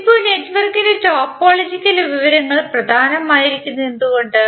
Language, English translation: Malayalam, Now, why the topological information of the network is important